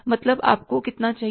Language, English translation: Hindi, Means you need how much